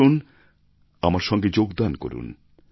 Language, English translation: Bengali, Come, get connected with me